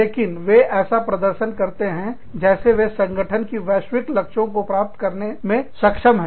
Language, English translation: Hindi, But, they also have to perform, in such a way, that they are able to achieve, the global goals of the organization